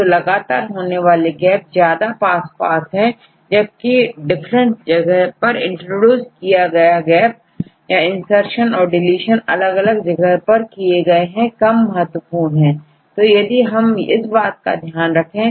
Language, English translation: Hindi, So, getting continuous gap is more closer than introducing gaps at the different places or the otherwise if your insertions or deletions which happened at different places are less probable than having this insertion deletions or together